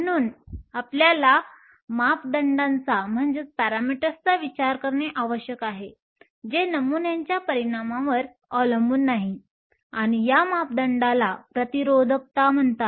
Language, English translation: Marathi, So, we need to think of a parameter that does not depend upon the dimensions of the sample and this parameter is called Resistivity